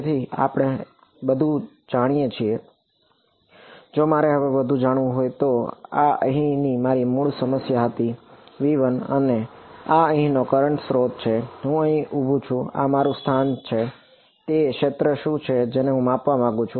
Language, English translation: Gujarati, So, now, we know pretty much everything if I want to find out now this was my original problem over here; v 1 and this is the current source over here I am standing over here this is my location r what is the field that I want to measure